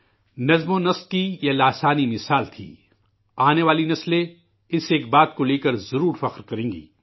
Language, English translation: Urdu, It was an unprecedented example of discipline; generations to come will certainly feel proud at that